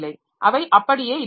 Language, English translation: Tamil, So, they remain as it is